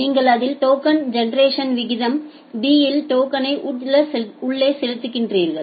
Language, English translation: Tamil, So, you are generating that token at b tokens per second